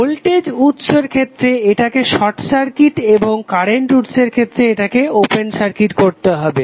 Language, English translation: Bengali, So turned off means what in the case of voltage source it will be short circuited and in case of current source it will be open circuited